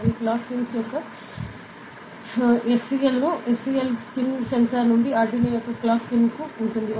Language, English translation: Telugu, And the SCL pin from the SCL of the clock pin from the sensor to the clock on the Arduino